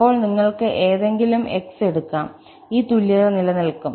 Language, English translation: Malayalam, Then, you can take any x and this equality will hold